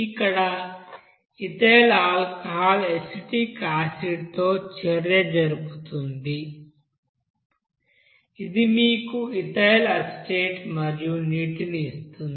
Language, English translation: Telugu, Here ethyl alcohol will be you know, reacting with acetic acid which will give you that ethyl acetate and water